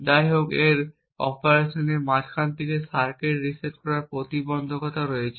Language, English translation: Bengali, However, resetting the circuit in the middle of its operation has its own hurdles